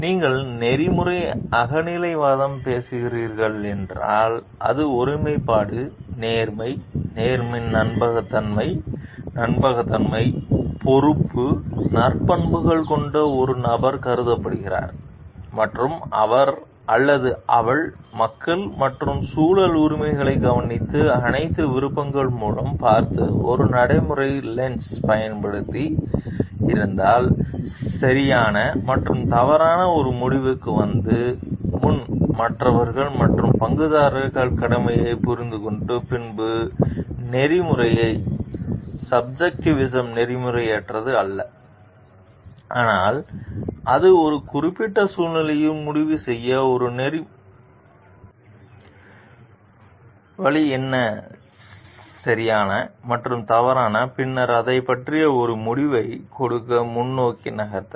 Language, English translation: Tamil, If you are talking of ethical subjectivism provided it is thought of by a person having virtues of integrity, honesty, fairness, trustworthiness, reliability, responsibility and he or she is using a pragmatic lens of looking through all the options taking care of the rights of the people and environment understanding the duties towards the others and stakeholders before arriving at a decision of right and wrong then ethical subjectivism is not unethical, but it is an ethical way to decide in a particular situation what is right and wrong and then move forward to give a decision about it